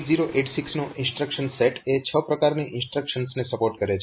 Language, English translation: Gujarati, So, instruction set of 8086, so if so it supports six types of instructions